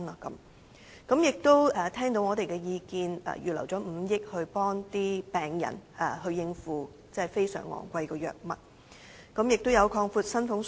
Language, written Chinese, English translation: Cantonese, 政府亦聽到我們的意見，預留了5億元幫助病人應付非常昂貴藥物的費用。, The Government also heeded our views by earmarking 500 million for helping patients pay for costly drugs